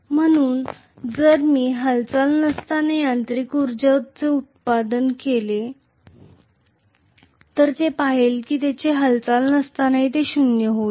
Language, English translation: Marathi, So if I look at how much is the mechanical energy output when there is no movement, this will be zero in the absence of movement